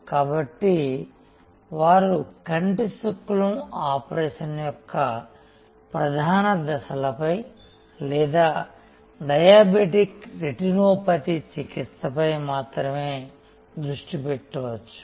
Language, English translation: Telugu, So, that they can focus only on the core steps of the cataract operation or the treatment for diabetic retinopathy and so on